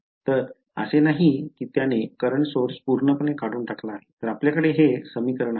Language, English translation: Marathi, So, it is not that have completely removed the current source, so, this is the equation that we have